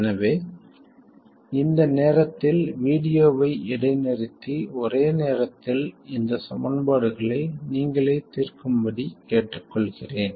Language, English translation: Tamil, So, at this point I would ask you to pause the video and solve these simultaneous equations by yourselves